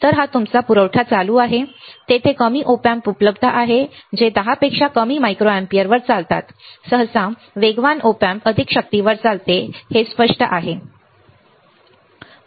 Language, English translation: Marathi, So, the this is your supply current, there are lower Op Amps available that run on less than 10 micro ampere usually the faster Op amp runs on more power, it is obvious it is obvious